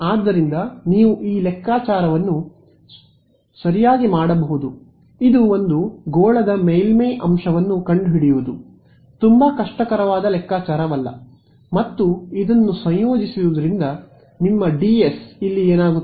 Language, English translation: Kannada, So, you can do this calculation right this is not a very difficult calculation find the surface element on a sphere and integrate this is going to be what is your ds over here